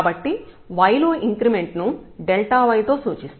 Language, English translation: Telugu, So, there will be an increment in y that is denoted by delta y